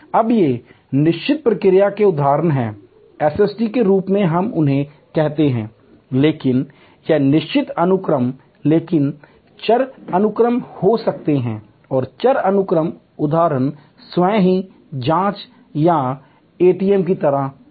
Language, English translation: Hindi, Now, these are instances of fixed response SST's as we call them, but or fixed sequence, but there can be variable sequence and variable sequence instances are like the self checking or ATM